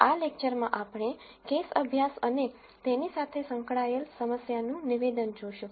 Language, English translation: Gujarati, In this lecture we are going to look at a case study and a problem statement associated with it